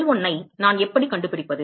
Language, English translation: Tamil, How do I find L1